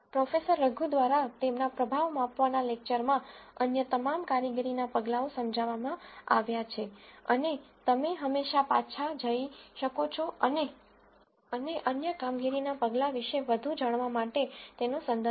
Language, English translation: Gujarati, All the other performance measures have been explained by Professor Raghu in his lecture of performance measure and you can always go back and refer to it to know more about the other performance measures